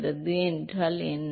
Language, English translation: Tamil, What is friction coefficient